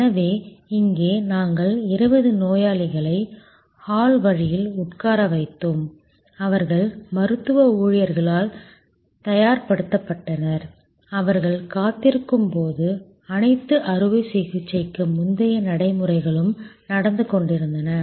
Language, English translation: Tamil, So, similarly here we had 20 patients seated in the hall way, they were getting prepared by the medical staff, all the pre operative procedures were going on while they were waiting